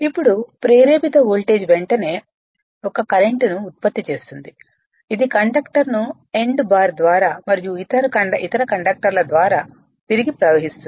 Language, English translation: Telugu, Now, the induced voltage immediately produces a current I which flows down the conductor through the end bar and back through the other conductors